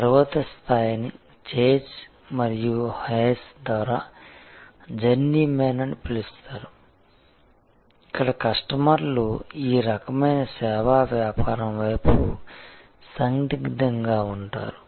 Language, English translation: Telugu, The next level is what is being called by chase and hayes as journey man, where customers are sort of ambivalent towards this kind of service businesses